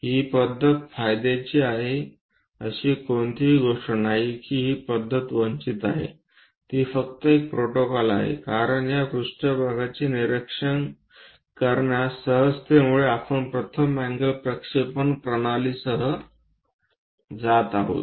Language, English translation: Marathi, Ah there is nothing like this method is advantageous that method is disadvantages, it is just one protocol, because of easiness in observing these planes, we are going with first angle projection system